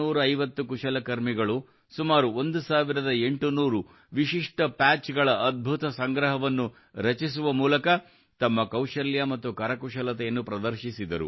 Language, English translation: Kannada, 450 artisans have showcased their skill and craftsmanship by creating an amazing collection of around 1800 Unique Patches